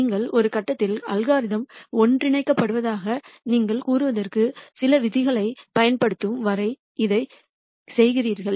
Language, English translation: Tamil, And you keep doing this till you use some rule for convergence you say at some point the algorithm is converged